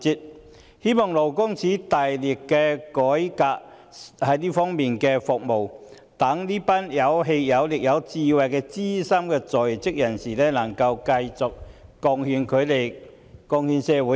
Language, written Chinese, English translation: Cantonese, 我希望勞工處大力改革這方面的服務，讓這群有氣有力、有智慧的資深在職人士能繼續貢獻社會。, I hope that LD will make a vigorous effort to reform services in this respect so that this group of veteran employees who are energetic and wise may continue to contribute to society